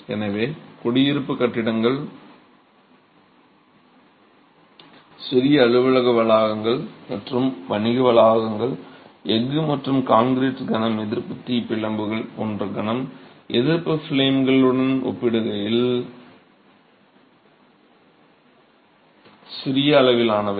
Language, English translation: Tamil, So, residential buildings, small office complexes and commercial complexes, all scale in comparison to moment resisting frames like steel and concrete moment resisting frames